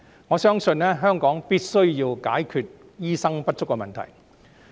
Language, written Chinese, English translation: Cantonese, 我相信香港必須解決醫生不足的問題。, I think that Hong Kong must solve the doctor shortage problem